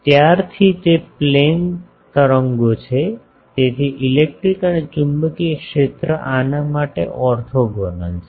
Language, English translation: Gujarati, Since, it is plane waves so, electric and magnetic fields are orthogonal to these